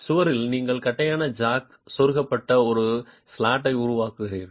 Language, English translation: Tamil, In the wall you make a slot into which the flat jack is inserted